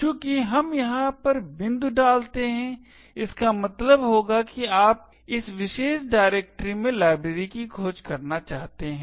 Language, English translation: Hindi, Since we put dot over here it would mean that you want to search for the library in this particular directory